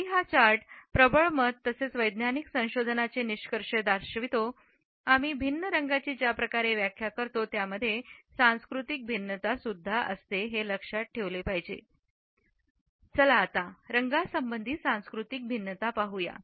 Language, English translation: Marathi, Even though this chart displays the dominant perceptions as well as findings of scientific researches, there are cultural variations in the way we interpret different colors